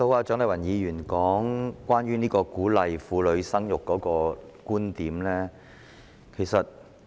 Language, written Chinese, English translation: Cantonese, 蔣麗芸議員剛才提出她對於鼓勵婦女生育的觀點。, Just now Dr CHIANG Lai - wan put forth her viewpoints on encouraging women to bear children